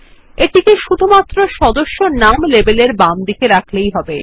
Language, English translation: Bengali, Just draw it to the left of the Member name label